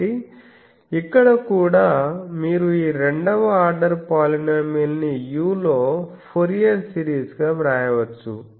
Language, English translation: Telugu, So, here also you see that this second order polynomial can be written as a Fourier series in u